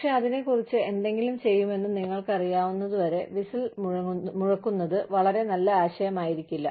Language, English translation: Malayalam, But, it may not be a very good idea, to blow the whistle, till you know, that something will be done, about it